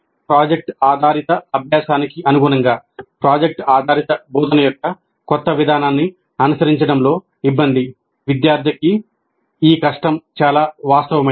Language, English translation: Telugu, Then adapting to project based learning, difficulty in adapting to the new approach of project based instruction for students, this difficulty can be very real